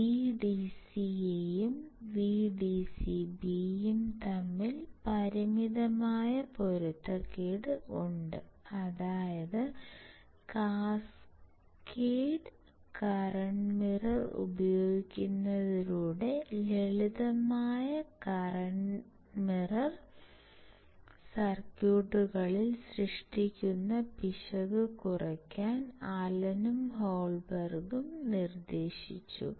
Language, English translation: Malayalam, Even there is a finite mismatch between my VDSA and VDSB; that means, Allen or Holberg proposed that by using the cascaded kind of current mirror, we can reduce the error generated in the simplest current mirror circuits